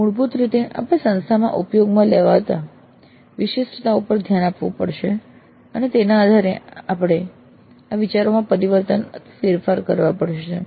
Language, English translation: Gujarati, So basically we'll have to look into the specific form that is being used at the institute and then based on that we have to adapt, fine tune these ideas